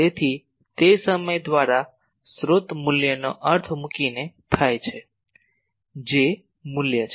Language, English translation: Gujarati, So, that will do by that time putting the source value that means, J J value